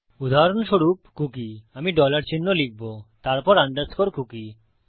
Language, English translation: Bengali, For example a cookie ,Ill put a dollar sign then underscore cookie